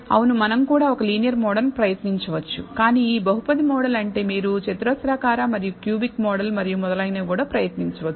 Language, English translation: Telugu, For example, we have to do this for the linear model the quadratic model the cubic model and so on so forth